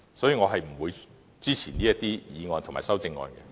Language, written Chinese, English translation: Cantonese, 所以，我不會支持這議案及修正案。, Therefore I will not support the motion and its amendments